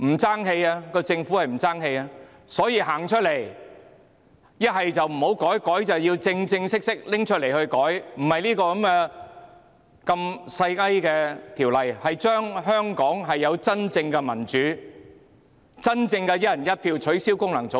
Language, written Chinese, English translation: Cantonese, 政府應站出來，要麼不修訂，要麼便正正式式修改，並非《條例草案》般小修小改，而是讓香港有真正的民主，真正的"一人一票"，取消功能界別。, The Government should come forth and instead of the piecemeal amendments in the Bill it should make real changes in order to let Hong Kong people have true democracy true one person on vote and abolish the FCs . Duel universal suffrage is not a scourge . It was stipulated in the Basic Law before the reunification